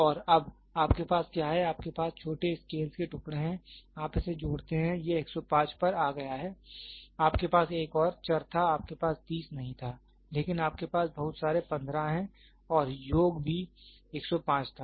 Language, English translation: Hindi, And now, what you have is you have pieces of small scales, you sum it up it came to 105 you had another variable you did not have 30, but you have so many 15 and also the sum was 105